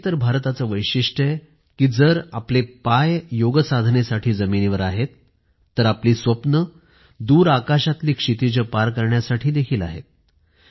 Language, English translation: Marathi, And this is the unique attribute of India, that whereas we have our feet firmly on the ground with Yoga, we have our dreams to soar beyond horizons to far away skies